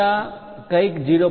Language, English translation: Gujarati, Something like plus 0